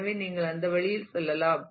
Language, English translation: Tamil, So, you could go through that